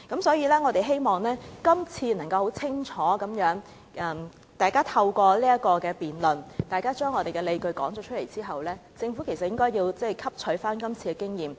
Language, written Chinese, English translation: Cantonese, 所以，我希望今次大家透過辯論，能夠清楚地說出自己的理據，讓政府汲取今次經驗。, Hence I hope that in this debate we can clearly set out our justifications so that the Government can learn from this experience